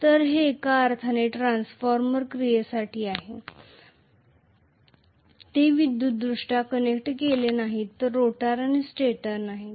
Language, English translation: Marathi, So, it is like transformer action in one sense, they are not electrically connected at all, the rotor and the stator